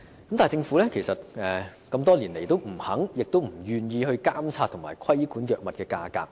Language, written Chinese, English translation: Cantonese, 可是，政府多年來也不願意監察及規管藥物價格。, But over the years the Government has remained unwilling to monitor and regulate the prices of these drugs